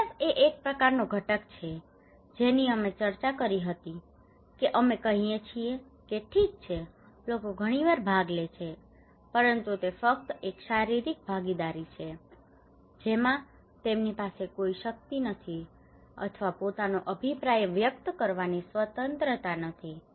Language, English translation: Gujarati, Fairness: fairness is a kind of component that we discussed that we are saying that okay is sometimes people participate but it is just a physical participations they do not have any power or the freedom to express their own opinions